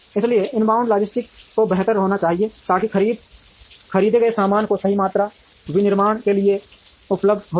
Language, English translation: Hindi, So, the inbound logistics have to be better, so that the right amount of bought out items are made available to manufacturing